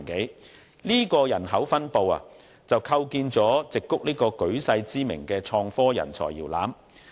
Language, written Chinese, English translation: Cantonese, 以上的人口分布，構建出矽谷這個舉世知名的創科人才搖籃。, The demographics of the Silicon Valley have made it a world - renowned cradle of innovative talents